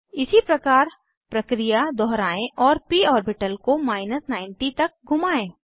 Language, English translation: Hindi, Likewise, repeat the process and rotate the p orbital to 90